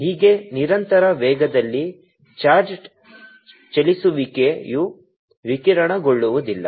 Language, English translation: Kannada, thus, charged moving with constant speed does not reradiate